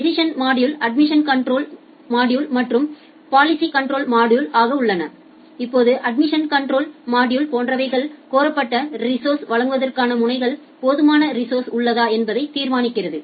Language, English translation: Tamil, The decision modules are the admission control module and the policy control module; now the admission control module it determines whether the node has sufficient available resources to supply for the requested resources